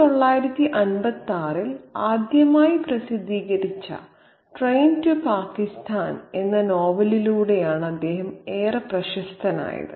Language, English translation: Malayalam, He is most well known for his novel Crain to Pakistan which was published first in 1956